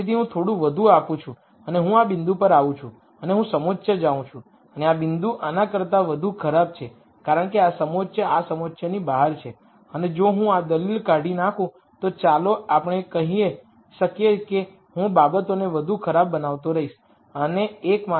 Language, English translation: Gujarati, So, I give some more I come to this point and I see a contour and this point is worse than this because this contour is outside this contour and if I extract this argument let us say I keep making things worse and the only reason I am making these worse is because I am forced to satisfy this equality constraint